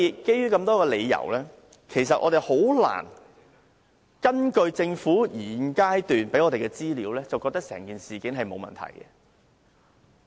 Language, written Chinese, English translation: Cantonese, 基於多種理由，我們難以根據政府現階段提供的資料，認為整件事是沒有問題的。, Given the many reasons it is difficult for us to regard the entire incident as normal based on the information provided by the Government at this stage